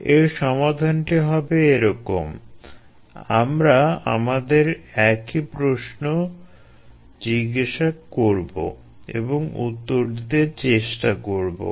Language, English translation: Bengali, the solution is thus follows: we will ask our same questions and tried to answer them